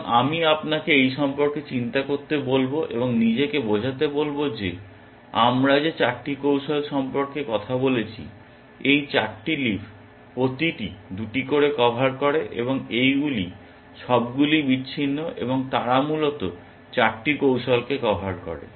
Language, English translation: Bengali, And I will ask you to think about this and convince yourself that of the 8 strategies that we talked about, these 4 leaves cover 2 each, and they are all disjoint and they cover all the 8 strategies essentially